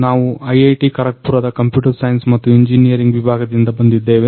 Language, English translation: Kannada, We are from Computer Science and Engineering department IIT, Kharagpur